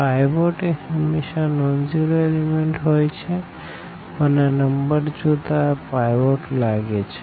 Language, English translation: Gujarati, The pivot has to be a non zero element, but looking at this number here this is a pivot